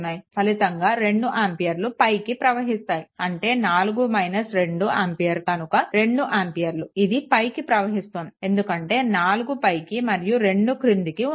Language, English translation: Telugu, So, resultant will be 2 ampere upward that is your 4 minus 2 ampere that is is equal to 2 ampere, it is upward right because this is 4 up, this is down